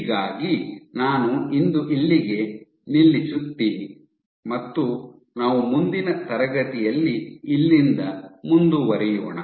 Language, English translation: Kannada, So I will stop here for today and we will continue the from here in the next class